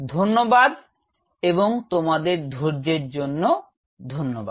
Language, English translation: Bengali, Thank you, and thanks for your patience